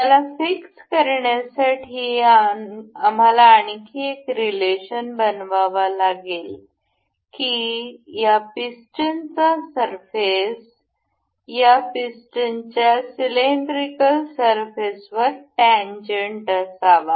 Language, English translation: Marathi, To fix, this we will have to make another relation that this surface of this pin is supposed to be tangent over the cylindrical surface of this piston